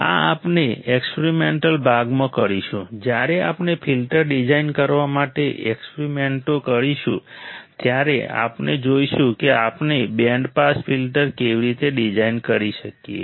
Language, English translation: Gujarati, This we will perform in the experimental portion, when we perform the experiments for designing the filters, we will see how we can design a band pass filter